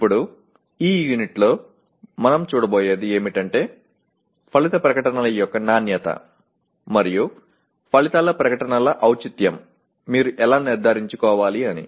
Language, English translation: Telugu, Now in this unit what we will look at is, how do you make sure that the quality and relevance of outcome statements is maintained